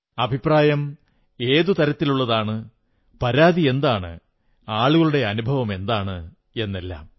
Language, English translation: Malayalam, What are the kinds of suggestions, what are the kinds of complaints and what are the experiences of the people